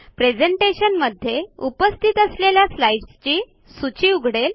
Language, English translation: Marathi, The list of slides present in this presentation opens up